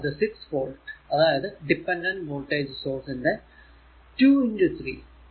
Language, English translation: Malayalam, So, it is 6 volt 2 into 3 dependent voltage source 6 volt it is 6 into this 3